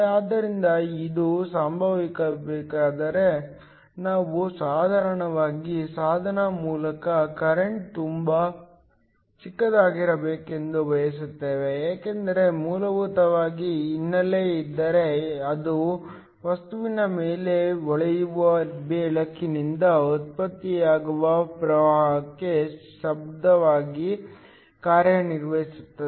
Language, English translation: Kannada, So for this to happen, we essentially want the current through the device to be very small, because if there is a background current that will essentially act as noise to the current that is generated by light shining on the material